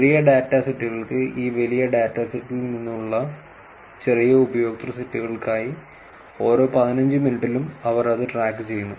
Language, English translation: Malayalam, And for the small data sets, small user set from this larger data set, they were actually tracking it for every fifteen minutes